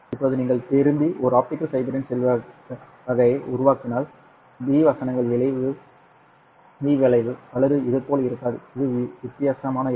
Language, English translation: Tamil, Now if you turn around and then make a rectangular type of an optical fiber, then the B versus V curve will not be like this